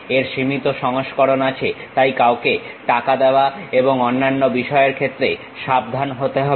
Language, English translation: Bengali, It has limited versions, so one has to be careful with that in terms of paying money and other things